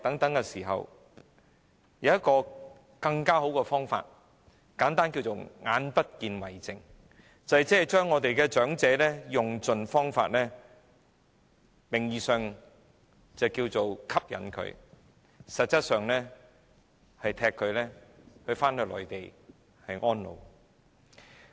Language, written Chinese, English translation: Cantonese, 就在這時候，有人想出一種更好的方法，簡單可稱之為"眼不見為淨"，就是用盡方法吸引長者到內地居住，但實質上是把他們趕回內地安老。, It was at that time that some people came up with a better idea and we can simply call it out of sight out of mind which is to attract the elderly by all means to reside on the Mainland but is actually driving the elderly to spend their twilight years on the Mainland